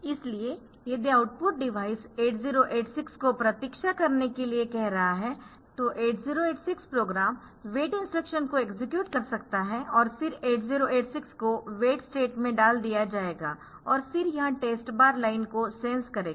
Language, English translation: Hindi, So, if the output device is asking the 8086 to wait it will it will be 8086 program may execute wait instruction and then the instruction will the 8086 will be put into an wait step and then it will be sensing the light test bar